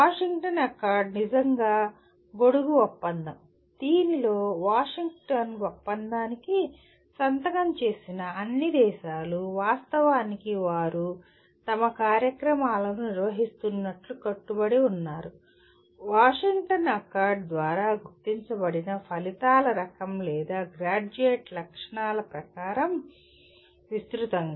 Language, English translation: Telugu, Washington Accord is really the umbrella accord wherein all the signatory countries to the Washington Accord are actually committing that they will be conducting their programs; broadly as per the kind of outcomes or a Graduate Attributes that are identified by Washington Accord